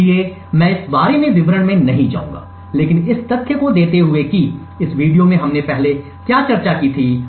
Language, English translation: Hindi, So, I would not go into details about this but giving the fact that what we discussed earlier in this video